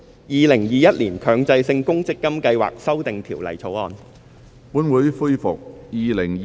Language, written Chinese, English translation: Cantonese, 《2021年強制性公積金計劃條例草案》。, Mandatory Provident Fund Schemes Amendment Bill 2021